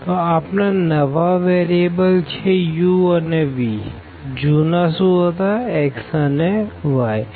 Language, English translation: Gujarati, So, our new variables are u and v, the older one here were x and y